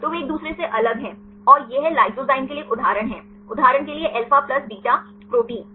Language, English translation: Hindi, So, they are segregate from each other and this is one example for lysozyme example for the alpha plus beta proteins